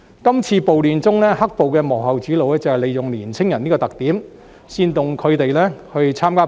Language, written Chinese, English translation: Cantonese, 今次暴亂中，"黑暴"的幕後主腦正是利用年青人這個特點，煽動他們參加暴亂。, During the riots in question the masterminds behind the black - clad violence have exactly made use of such characteristics of young people to instigate them to participate in the riots